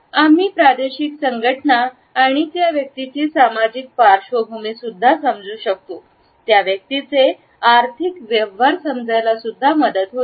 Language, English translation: Marathi, We can understand the regional associations and social backgrounds of the person, we can understand the economic affairs of that individual